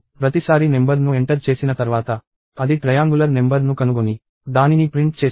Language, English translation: Telugu, And each time once the number is entered, it will find the triangular number and print it out